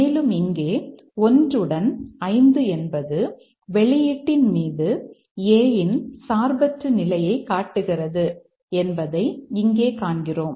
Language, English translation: Tamil, We see here that 1 along with 5 shows the independent influence of A on the outcome